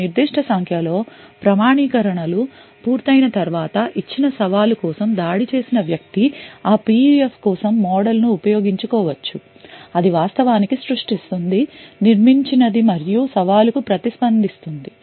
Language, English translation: Telugu, Now after a certain number of authentications have completed, for a given challenge the attacker could use the model for that PUF which it has actually created which it has actually built and respond to the challenge